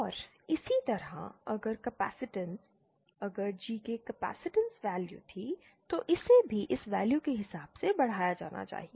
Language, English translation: Hindi, And similarly if capacitance, if GK was a capacitance value, then it should also be scaled according to this value